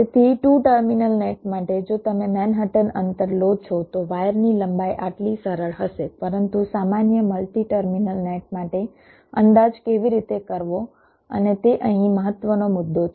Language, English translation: Gujarati, so if you take the manhattan distance, the wire length will be simple, this, but for a general multi terminal nets, how to estimate